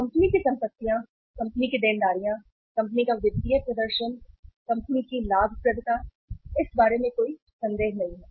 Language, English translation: Hindi, Assets of the company, liabilities of the company, financial performance of the company, profitability of the company, there is no doubt about that